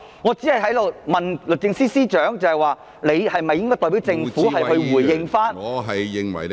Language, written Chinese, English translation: Cantonese, 我只是問律政司司長，是否應代表政府回應。, I was only asking the Secretary for Justice to respond on behalf of the Government